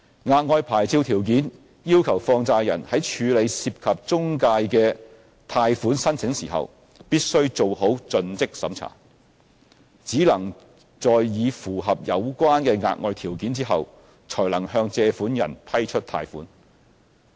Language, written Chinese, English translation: Cantonese, 額外牌照條件要求放債人在處理涉及中介的貸款申請時必須做好盡職審查，只能在已符合有關的額外條件後，才能向借款人批出貸款。, The additional licensing conditions require money lenders to undertake due diligence checks in processing loan applications involving intermediaries . A money lender will not be able to grant a loan to a borrower unless it has complied with the relevant additional licensing conditions